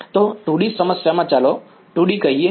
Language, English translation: Gujarati, So, in a 2 D problem let us take 2 D